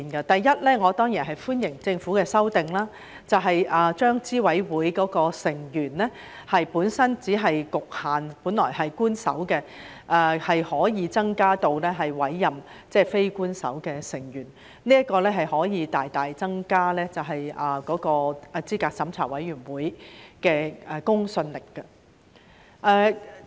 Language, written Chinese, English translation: Cantonese, 第一，我當然歡迎政府的修訂，把資審會的成員由本身只局限於官守成員，增至可以委任非官守成員，這可以大大增加資審會的公信力。, First I certainly welcome the amendment of the Government to change the composition of CERC from official members only to non - official members . This will greatly enhance the credibility of CERC